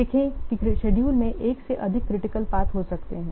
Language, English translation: Hindi, See, there can be more than one critical path in a schedule